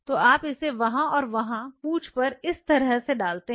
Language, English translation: Hindi, So, you have their and their tail like this